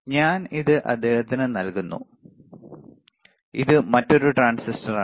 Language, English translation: Malayalam, Transistor that I am giving it to him and this is another transistor